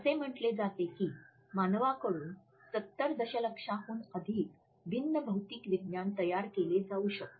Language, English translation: Marathi, It is said that more than 70 million different physical science can be produced by humans